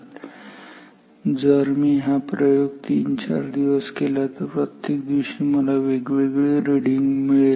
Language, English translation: Marathi, So, if I do this experiment 3 days 4 days every day I will get different reading